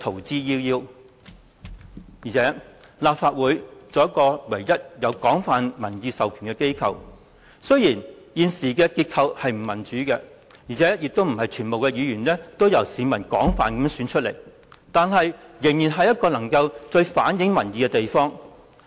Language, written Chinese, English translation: Cantonese, 再者，立法會作為香港唯一擁有廣泛民意授權的機構，儘管現時的結構並不民主，並非全部議員皆由市民廣泛選出，但卻依然是最能反映民意的地方。, Furthermore the Legislative Council is the only institution in Hong Kong with a broad public mandate . Although its current structure is not democratic as not all Members are elected by the general public it is still the place where public views can best be reflected